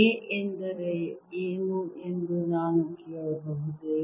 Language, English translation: Kannada, can i ask what does a mean